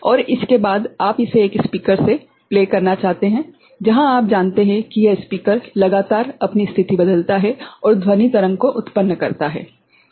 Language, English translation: Hindi, And after that you want to play it in a speaker right, where this speaker will continuously you know change its position and generate the sound wave right